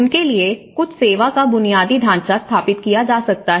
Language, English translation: Hindi, So, that you know, some service infrastructure could be set up for them